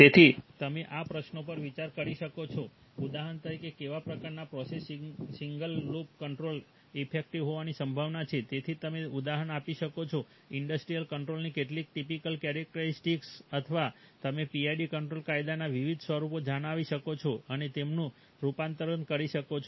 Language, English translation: Gujarati, So you might ponder on these questions for example what kind of processes single loop control is likely to be effective, so can you give an example, some typical features of an industrial controller or can you state the different forms of the PID control law and make their conversion